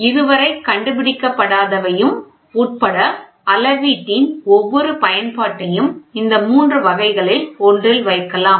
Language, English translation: Tamil, Every application of the measurement including those not yet invented can be put in one of these three categories